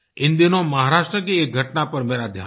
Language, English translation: Hindi, Recently, one incident in Maharashtra caught my attention